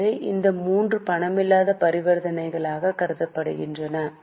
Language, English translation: Tamil, So, these three are treated as non cash transactions